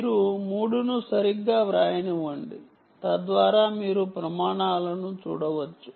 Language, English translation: Telugu, let me write three properly so that you can look up the standards